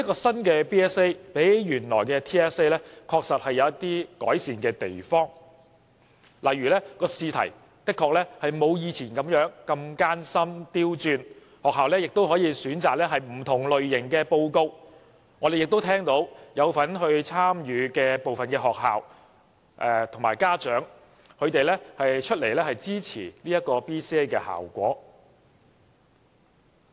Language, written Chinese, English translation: Cantonese, 新的 BCA 比原來的 TSA 確實有一些改善的地方，例如試題不像以往艱深、刁鑽，學校可以選擇不同類型的報告等，我們也聽到有份參與的部分學校和家長表示支持 BCA 的效果。, Compared with TSA BCA has indeed made some improvements for example the questions are less difficult or complicated different types of reports are made available for schools selection and so on . We also note the support given by some participating schools and parents for the positive value of BCA